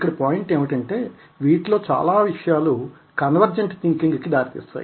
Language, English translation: Telugu, so the point is that many of these lead to what is known as convergent thinking